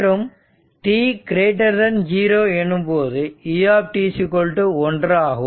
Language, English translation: Tamil, And for t greater than 0, this U t is 1